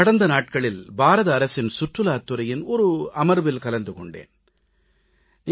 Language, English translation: Tamil, I was in a meeting with the Tourism Department recently